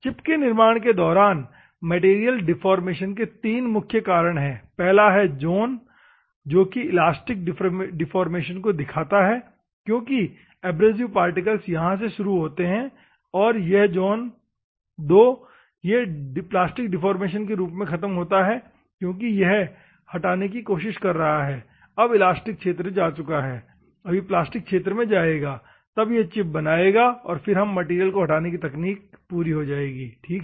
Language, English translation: Hindi, So, there are three stages of material deformation during the formation of chips, one zone I, this is a zone I refer to the elastic deformation, because abrasive particle starts there and the zone II it will end into the plastic deformation, because it is trying to remove, now the elastic region is gone so, it will enter into the plastic region, then it will form a chip and removes technology material, ok